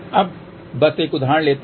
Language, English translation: Hindi, Now, let just take an example